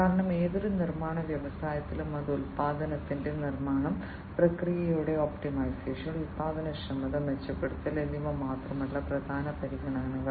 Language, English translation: Malayalam, Because in any manufacturing industry it is not just the manufacturing of the product, optimization of the processes, improvement of the productivity, these are important considerations